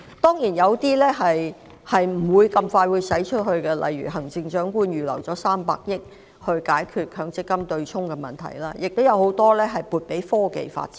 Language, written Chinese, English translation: Cantonese, 當然，部分開支不會很快便出現，例如行政長官預留了300億元解決強積金對沖的問題，亦把很多資源撥給科技發展。, Certainly some of the expenditures will not be incurred very soon such as the sum of 30 billion set aside by the Chief Executive for abolishing the offsetting mechanism of the Mandatory Provident Fund System as well as the considerable amount of resources allocated to the development of science and technology